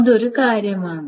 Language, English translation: Malayalam, That's the thing